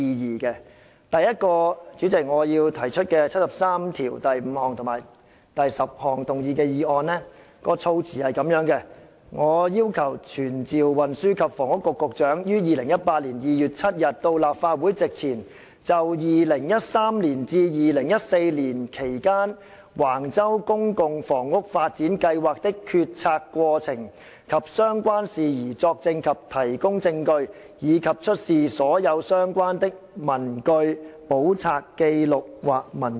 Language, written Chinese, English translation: Cantonese, 主席，第一項我要提出的議案，根據《基本法》第七十三條第五項及第七十三條第十項動議，措辭如下："傳召運輸及房屋局局長於2018年2月7日到立法會席前，就2013年至2014年期間，橫洲公共房屋發展計劃的決策過程及相關事宜作證及提供證據，以及出示所有相關的文據、簿冊、紀錄或文件。, President my first motion is that pursuant to Articles 735 and 7310 of the Basic Law this Council summons the Secretary for Transport and Housing to attend before the Council on 7 February 2018 to testify or give evidence and to produce all relevant papers books records or documents in relation to the decision - making process of the Public Housing Development Plan at Wang Chau and related issues during the period from 2013 to 2014